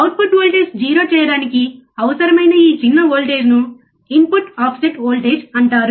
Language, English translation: Telugu, This small voltage that is required to make the output voltage 0 is called the input offset voltage